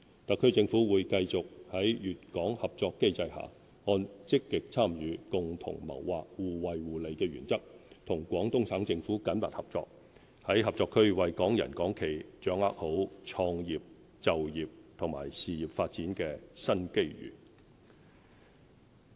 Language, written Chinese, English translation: Cantonese, 特區政府會繼續在粵港合作機制下，按"積極參與、共同謀劃、互惠互利"的原則，與廣東省政府緊密合作，在合作區為港人港企掌握好創業、就業及事業發展的新機遇。, The HKSAR Government will continue to cooperate closely with the Guangdong Provincial Government under the Guangdong - Hong Kong cooperation mechanism and on the principle of achieving mutual benefits through active participation and joint planning so as to better seize new opportunities for Hong Kong people and enterprises to start business pursue employment and further career